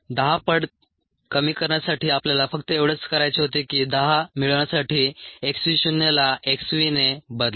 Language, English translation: Marathi, for ten fold reduction, all we needed to do was replace x v naught by x v have to be ten